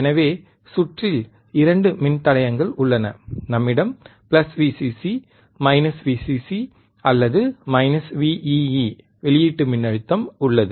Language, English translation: Tamil, So, in the circuit was we have atwo resistors, we have a resistor, we have plus VVcccc, minus Vcc or minus Vee, w, right